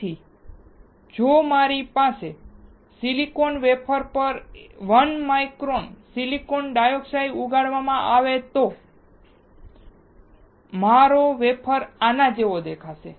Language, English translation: Gujarati, So if I have a 1 micron silicon dioxide grown on the silicon wafer, my wafer will look like this